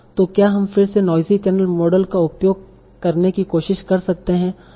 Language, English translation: Hindi, So again can we try to use the noise channel model